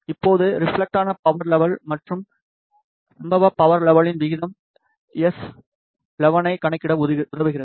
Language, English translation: Tamil, Now, the ratio of reflected power level and the incident power level enables the calculation of S11